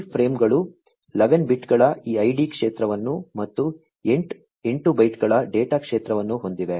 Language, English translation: Kannada, These frames have this id field which is of 11 bits and the data field which is of 8 bytes